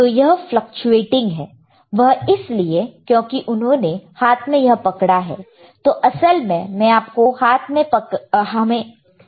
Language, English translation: Hindi, So, this fluctuating because he is holding with hand, in reality you do not have to hold with hand